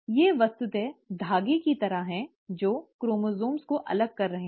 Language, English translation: Hindi, These are literally like threads, which are pulling the chromosomes apart